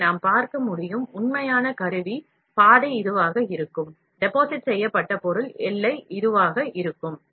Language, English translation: Tamil, So, we can see, actual tool path will be this, deposited material boundary will be this